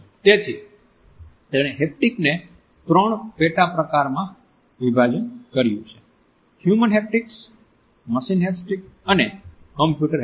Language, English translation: Gujarati, So, he has subdivided haptics into three subcategories Human Haptics, Machine Haptics and Computer Haptics